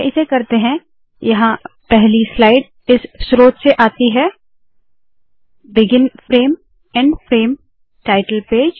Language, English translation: Hindi, Lets do this first, the first slide here comes from this source – begin frame, end frame, title page